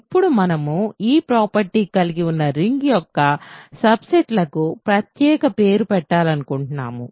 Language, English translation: Telugu, Now, we want to give a special name to subsets of a ring that have this property